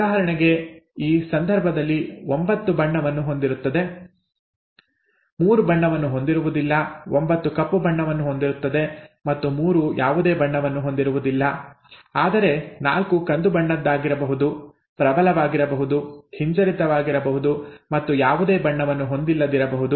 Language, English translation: Kannada, For example in this case, 9 would have the colour, 3 will not have the colour, 9 would 9 would be black, and 3 would not have the colour at all whereas 4 would be brown; the dominant, recessive and no colour at all, right